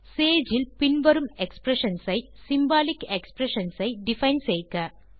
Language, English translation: Tamil, Define following expressions as symbolic expressions in Sage